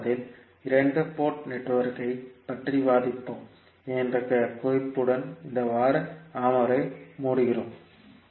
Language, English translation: Tamil, So we close this week’s session with this note that we will discuss the 2 port network in next week